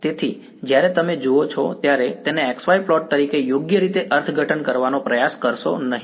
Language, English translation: Gujarati, So, when you see this do not try to interpret this as a x y plot right